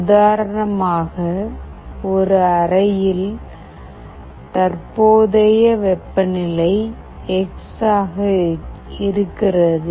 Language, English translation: Tamil, Suppose the current temperature of the room is x